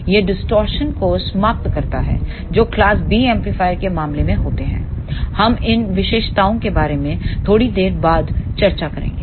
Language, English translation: Hindi, This eliminates the distortion that occurs in case of class AB amplifier we will discuss about these features little later